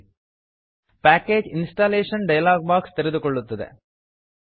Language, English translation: Kannada, A Package Installation dialog box will open